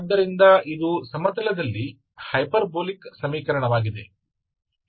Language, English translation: Kannada, So this is a hyperbolic equation in the plane